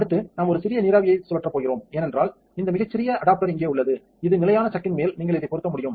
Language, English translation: Tamil, Next we are going to spin a small vapour for it has this very very nice little adapter here that you can fit right on top with the standard chuck